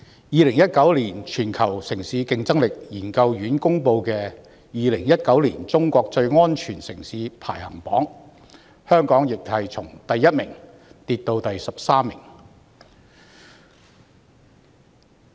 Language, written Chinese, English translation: Cantonese, 2019年全球城市競爭力研究院公布的2019年中國最安全城市排行榜，香港亦從第一位跌至第十三位。, According to the 2019 China Safest Cities Ranking released by the Hong Kong Chinese and Foreign Institute of City Competitiveness the ranking of Hong Kong has also dropped from the first place to the 13 place